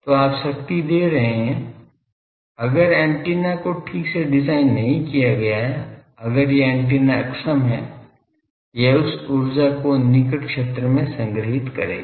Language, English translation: Hindi, So, you are giving power, but if ready antenna is not properly designed, if it is inefficient the antenna it will store that energy in the near field